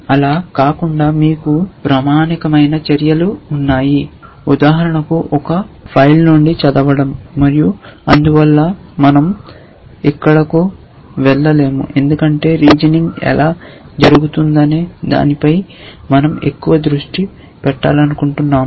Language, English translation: Telugu, Apart from that you have standard actions that you may need for example, reading from a file and so on which we will not go into here because we want to focus more on how reasoning is done